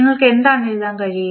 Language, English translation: Malayalam, What you can write